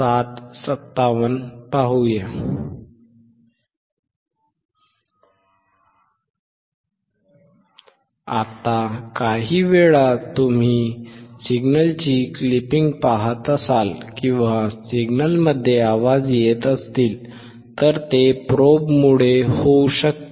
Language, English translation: Marathi, Now, sometimes you will be looking at the clipping of the signal or the noise in the signal that may be due to the probe